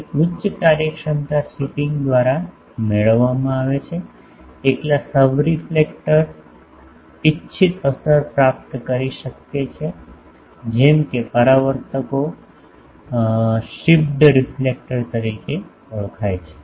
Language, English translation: Gujarati, Hence higher efficiency is obtained by the shipping the subreflector alone the desired effect may be obtained such reflectors are known as shipped reflectors